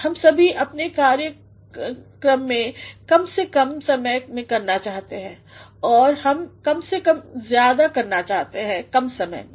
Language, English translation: Hindi, All of us want to perform our task in less amount of time and we want to do more in less amount of time